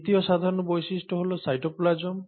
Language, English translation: Bengali, The second most common feature is the cytoplasm